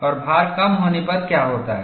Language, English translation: Hindi, And when I reduce the load, what would happen